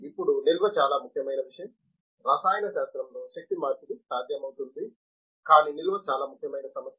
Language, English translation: Telugu, Now, the storage is a very important thing, energy conversion is may be possible in where the chemistry, but the storage is a very important problem